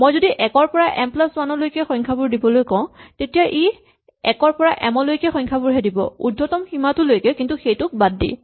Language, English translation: Assamese, So, if I say give the numbers in the range 1 to n plus 1, it gives me in the range one to m, one up to the upper limit, but not including the upper limit